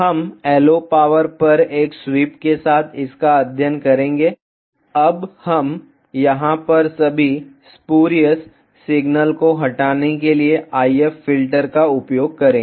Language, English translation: Hindi, We will study this with a sweep on LO power, now we will the if filter to remove all the spurious signals over here